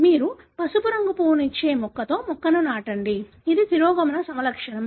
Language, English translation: Telugu, You cross the plant with a plant that gives you the yellow colour flower, which is a recessive phenotype